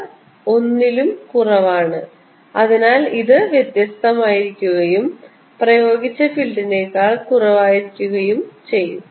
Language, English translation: Malayalam, however, this chi m is less than one, then this is going to be different and going to be less than the applied field